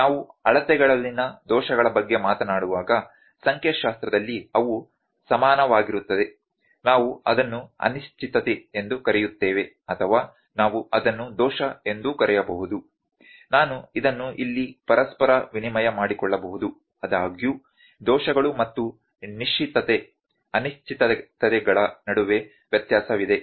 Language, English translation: Kannada, When we talk about errors in measurements, those are equal in statistics we call it uncertainty, or we can also call it error I can use this interchangeably here; however, there is a difference between errors and a certainty uncertainties